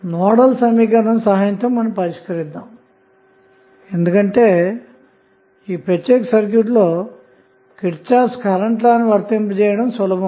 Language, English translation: Telugu, We will solve it with the help of Nodal equation because it is easier to apply Kirchhoff Current Law in this particular circuit